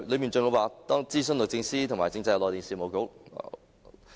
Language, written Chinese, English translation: Cantonese, 當中還說，諮詢了律政司和政制及內地事務局......, It was also said that the Department of Justice and the Constitutional and Mainland Affairs Bureau were both consulted